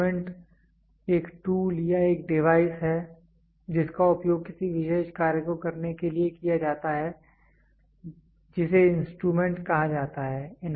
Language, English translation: Hindi, Instrument is a tool or a device that is used to do a particular task is called instrument